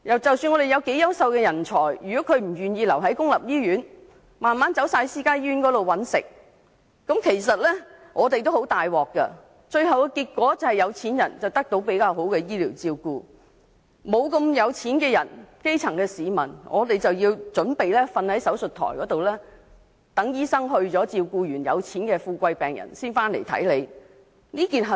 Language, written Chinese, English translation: Cantonese, 即使我們有優秀的人才，但如果他們不願意留在公立醫院工作，慢慢地全部轉往私家醫院工作，結果有錢人可以得到較佳的醫療照顧，而基層市民則準備要躺在手術台上，待醫生先照顧完有錢的病人後才回來。, Even when we have superb talent if they are unwilling to remain in public hospitals and gradually move to private hospitals the rich people will end up getting better health care while the grass roots will need to wait on the operation table for doctors to return from taking care of rich patients first